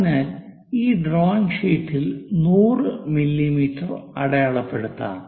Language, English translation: Malayalam, So, let us mark 100 mm on this drawing sheet